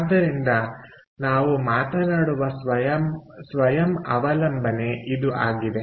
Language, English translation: Kannada, so therefore, thats the self dependence we are talking about